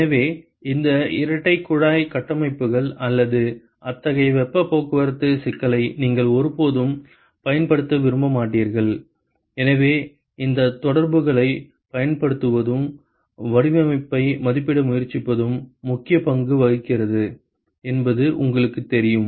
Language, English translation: Tamil, So, you never want to use any of these double pipe configurations or such kind of a heat transport problem, so, this is where you know using these correlations and trying to estimate the design plays an important role